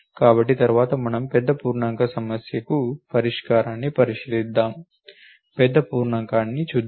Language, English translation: Telugu, So, next we will look at the solution for the big int problem let us look at the big int